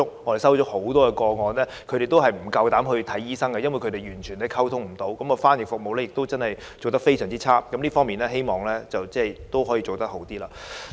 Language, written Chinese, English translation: Cantonese, 我們接獲很多個案，是受害人不敢前往求診，因為完全無法溝通，翻譯服務非常差，希望這方面可以做好一點。, In the many cases that we received the victims do not dare to seek medical consultation in hospitals because of communication breakdown and the very poor interpretation service . I hope that this aspect can be done better